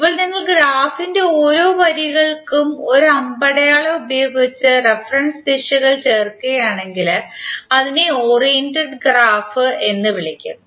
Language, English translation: Malayalam, Now if you add the reference directions by an arrow for each of the lines of the graph then it is called as oriented graph